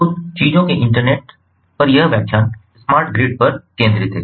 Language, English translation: Hindi, so this lecture on ah internet of things focuses on the smart grid